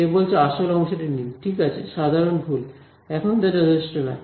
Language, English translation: Bengali, She says take the real part ok, common mistake; now that is not enough